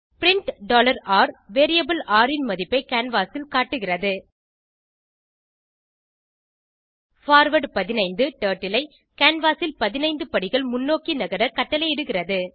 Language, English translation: Tamil, print $r displays the value of variable r on the canvas forward 15 commands Turtleto moves 15 steps forward on the canvas